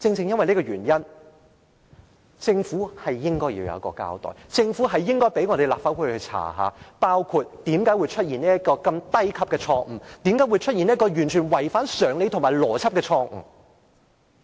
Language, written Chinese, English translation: Cantonese, 因此，政府應該要作出交代，應該讓立法會進行調查，包括為何會出現這個低級錯誤，為何會出現這個完全違反常理和邏輯的錯誤。, Therefore the Government should offer us an explanation and let the Legislative Council conduct an inquiry into the incident including the reasons for making such a silly mistake which is totally insensible and illogical